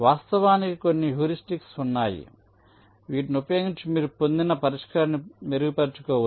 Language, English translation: Telugu, and of course there are some heuristics using which you can iterate to improve upon the solution obtained